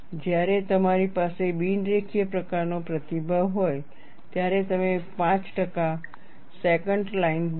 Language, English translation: Gujarati, What is then here is, when you have a non linear type of response, you draw a 5 percent secant line